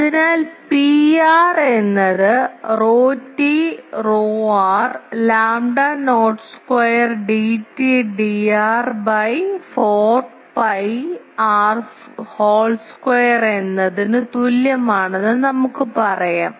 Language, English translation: Malayalam, So, we can say that P r is equal to rho t rho r lambda not square D t D r by 4 pi r whole square